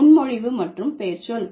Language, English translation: Tamil, Preposition plus noun